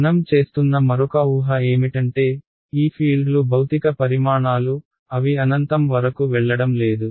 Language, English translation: Telugu, Another assumption we are making is that these fields are physical quantities they are not going to blow up to infinity